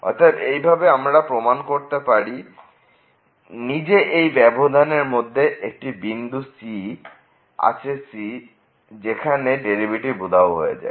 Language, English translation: Bengali, So, in this way we have proved this that there is a point in this interval , in the open interval where the derivative vanishes